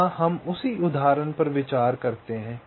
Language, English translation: Hindi, ok, here, ah, we consider same example